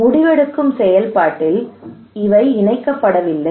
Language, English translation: Tamil, They are not really incorporated into the decision making process